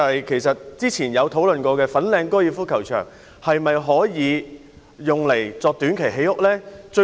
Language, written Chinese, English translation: Cantonese, 其實過去曾討論的粉嶺高爾夫球場可否用作短期興建房屋呢？, In fact there have been discussions about whether the Fanling Golf Course can be used for housing construction in the short run?